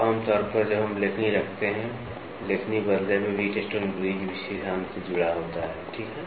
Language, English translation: Hindi, So, generally we keep a stylus, the stylus in turn is attached to the Wheatstone bridge principle, ok